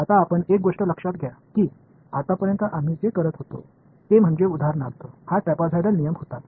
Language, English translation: Marathi, Now, so you notice one thing that what we were doing so far is for example, this was trapezoidal rule